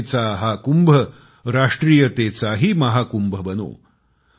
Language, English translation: Marathi, May this Kumbh of faith also become Mahakumbh of ofnationalism